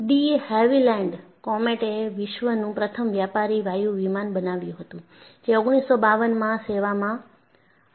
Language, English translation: Gujarati, De Havilland Comet,the world's first commercial jetliner went into service in 1952